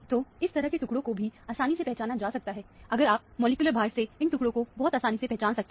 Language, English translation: Hindi, So, this kind of fragments can also be easily identified, if you can recognize these fragments very readily from the molecular weights